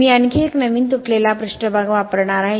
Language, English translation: Marathi, I am going to use another freshly broken surface